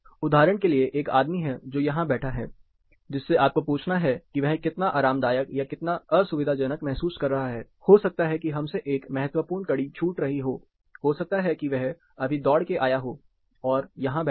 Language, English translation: Hindi, For example, if you have to ask this guy who is sitting here how comfortable you are feeling or how uncomfortable you are feeling, we might be missing a critical link he might have just completed a jog and he might have been sitting here